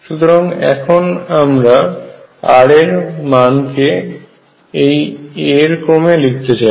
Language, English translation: Bengali, So now I am going to write r in terms of this a